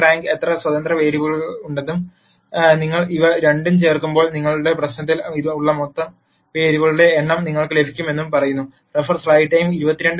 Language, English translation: Malayalam, The rank of A tells you how many independent variables are there and when you add these two you should get the total number of variables that is there in your problem